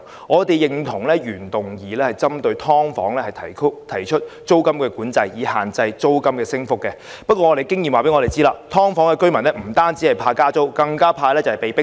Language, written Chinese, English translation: Cantonese, 我們認同原議案針對"劏房"提出租金管制以限制租金升幅的建議，但根據經驗，"劏房"居民不但擔心加租，更害怕被迫遷。, We support the proposal in the original motion for regulating the rate of rental increase for subdivided units by way of rent control . But according to experience dwellers of subdivided units are worried about not only rental increase but also eviction